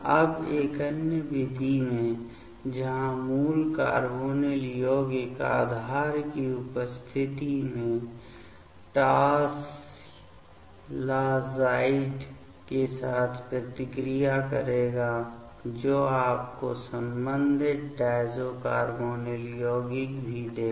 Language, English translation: Hindi, Now, in another method where the parent carbonyl compound will react with tosylazide in presence of base that will also give you the corresponding diazo carbonyl compound ok